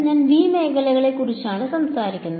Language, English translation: Malayalam, And I am talking about region V